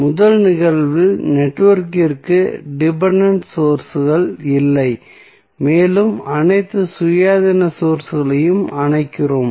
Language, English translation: Tamil, In first case the network has no dependent sources and we turn off all the independent sources turn off means